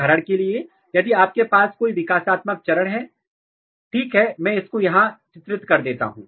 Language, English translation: Hindi, For example, if you have some kind of developmental stages maybe I will draw here